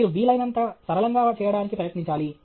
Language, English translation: Telugu, You should try to make things as simple as possible